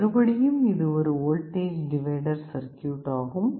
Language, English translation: Tamil, This is a voltage divider circuit